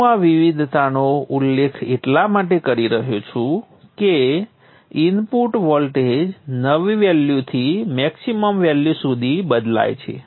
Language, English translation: Gujarati, This variation, why I am mentioning this variation is that the input voltage varies from a minimum value to a maximum value